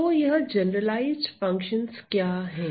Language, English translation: Hindi, So, what are these generalized functions